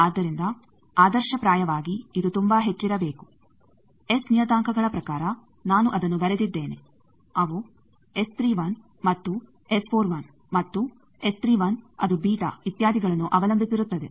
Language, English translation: Kannada, So, ideally this should be very high, in terms of S parameters I have written that that they depends on S 31 and S 41 and in our chosen ones it is beta etcetera